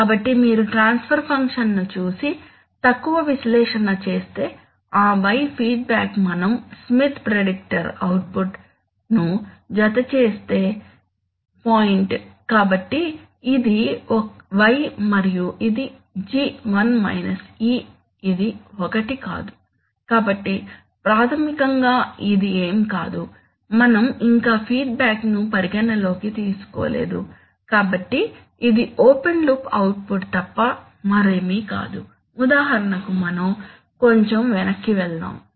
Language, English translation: Telugu, So you see that, if you just see the feedback transfer function and do up little analysis we will find that, the y feedback, feedback was the point where we were adding that Smith predictor output, so this was y and this was that G to the power, this is not that one, this is, this was, yeah, so basically this says that, simply this is nothing, sorry, we are not yet considering feedback at all, so this is nothing but the open loop output, for example let us go back a little bit let us go back a little bit